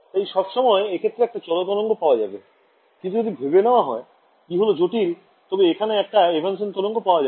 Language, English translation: Bengali, Then I will always get a traveling wave, but if I chose e’s to be complex, I am able to get an evanescent wave right